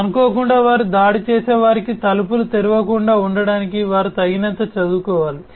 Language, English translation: Telugu, So, they will have to be educated enough so that unintentionally they do not open the doors for the attackers